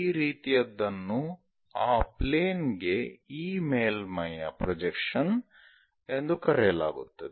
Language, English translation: Kannada, This kind of thing is called what projection of this surface on to that plane